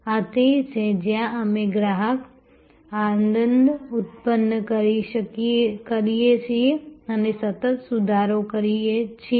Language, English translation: Gujarati, This is where we produce customer delight and improve continuously